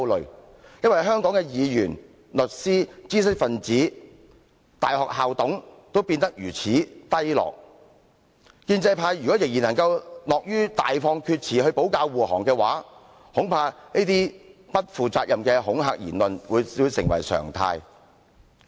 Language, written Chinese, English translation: Cantonese, 因為他身為香港的議員、律師、知識分子及大學校董的水平也變得如此低落，建制派如果仍然樂於大放厥詞來保駕護航，恐怕這些不負責的恐嚇言論會成為常態。, It is because despite being a legislator lawyer intellectual and university council member he has demonstrated his very low calibre . If the pro - establishment camp is still keen to harbour him by means of all those ridiculous arguments I am afraid these reckless and intimidating remarks will become the norm